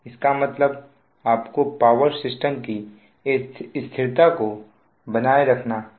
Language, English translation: Hindi, so that means you have to, you have to maintain the stability of power system